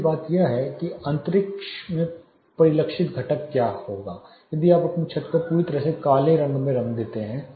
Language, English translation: Hindi, The second thing is the internal reflected component what if you paint your ceiling totally black